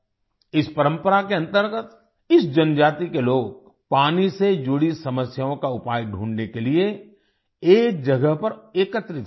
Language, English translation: Hindi, Under this tradition, the people of this tribe gather at one place to find a solution to the problems related to water